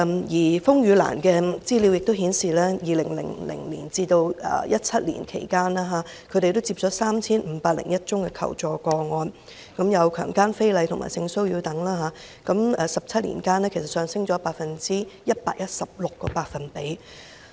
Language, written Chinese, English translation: Cantonese, 而風雨蘭的資料也顯示 ，2000 年至2017年期間，他們接獲 3,501 宗求助個案，包括強姦、非禮和性騷擾等，數目在17年間上升了 116%。, The information from RainLily also shows that between 2000 and 2017 3 501 requests for assistance were received covering cases of rape indecent assault and sexual harassment . The number has soared by 116 % over these 17 years